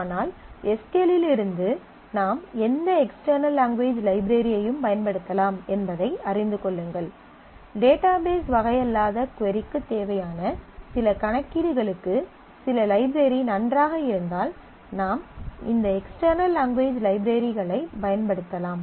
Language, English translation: Tamil, But get to know that there could be as from SQL you can use any external language library; and if some library is good for certain computation which is needed for your query which is a non database kind of computation then you can make use of this external language routines